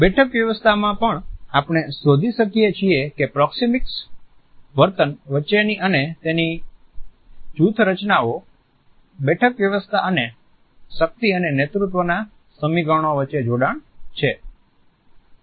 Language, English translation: Gujarati, In seating arrangements also we find that there are linkages between and among proxemic behavior designing, seating arrangement and power and leadership equations